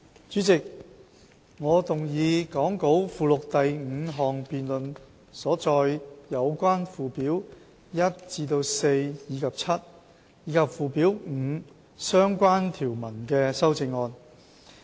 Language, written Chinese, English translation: Cantonese, 主席，我動議講稿附錄第五項辯論所載有關附表1至4及 7， 以及附表5相關條文的修正案。, Chairman I move the amendments relating to Schedules 1 to 4 and 7 and the relevant provisions of Schedule 5 as set out in the fifth debate in the Appendix to the Script